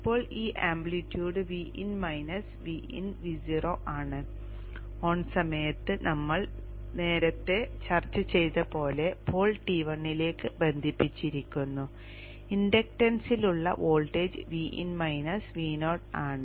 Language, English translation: Malayalam, Now this amplitude is V in minus V 0 as we discussed earlier during the time when the pole is connected to T1 the voltage across inductance is V in minus V 0